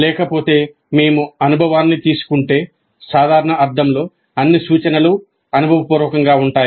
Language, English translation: Telugu, Otherwise in a usual sense if we take experience, all instruction is experiential